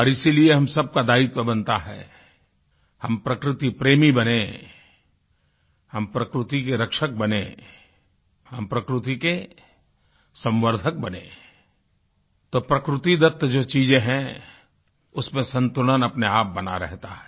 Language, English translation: Hindi, And that is why it becomes our collective responsibility… Let us be lovers of nature, protectors of Nature, conservers of Nature… and thus, ensure spontaneous balance in her myriad bounty